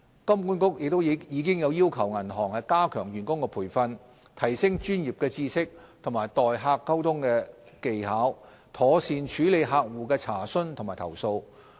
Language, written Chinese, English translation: Cantonese, 金管局亦已要求銀行加強員工培訓，提升專業知識及待客溝通技巧，妥善處理客戶的查詢及投訴。, HKMA also requires banks to enhance staff training in the aspects of professional knowledge and customer communication so as to ensure the proper handling of customer enquiries and complaints